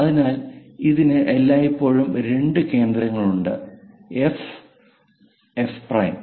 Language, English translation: Malayalam, So, it has always two foci centres; F and F prime